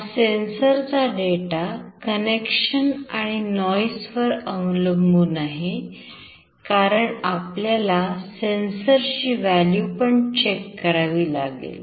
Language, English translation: Marathi, This sensor data depends on connection as well as the noise as we need to check the value of the sensor